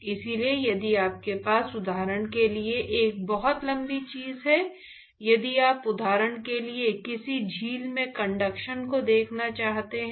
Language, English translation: Hindi, So, if you have a very, very long thing for example, if you want to look at the conduction in a lake for example